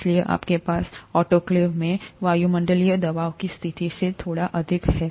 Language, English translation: Hindi, So you have slightly higher than atmospheric pressure conditions in the autoclave